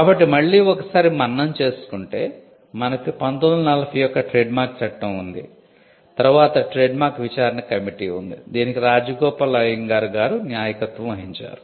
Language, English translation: Telugu, So, just to recap so, we had a Trademarks Act of 1940, then there was a trademarks inquiry committee; which was headed by Rajagopal Iyengar the Iyengar committee